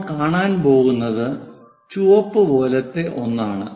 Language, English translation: Malayalam, What we will going to see is something like a red one